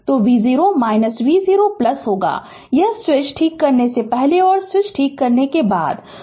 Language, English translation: Hindi, So, v 0 minus will be v 0 plus; this will just before switching, and just after switching right